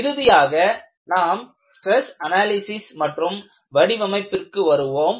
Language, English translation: Tamil, And, finally we come to stress analysis and design